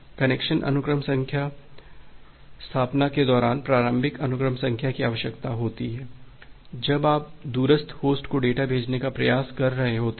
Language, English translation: Hindi, The initial sequence number is required during the connection establishment face, when you are trying to send data to a remote host